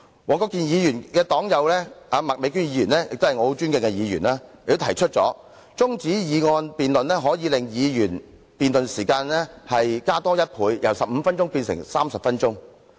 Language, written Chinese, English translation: Cantonese, 黃國健議員的黨友麥美娟議員亦是我尊敬的議員，她亦表示提出中止待續的議案可以令議員辯論的時間增加1倍，由15分鐘變為30分鐘。, Ms Alice MAK who is Mr WONG Kwok - kins party comrade is also a Member whom I respect . She said that the adjournment motion could result in the doubling of a Members debate time from 15 minutes to 30 minutes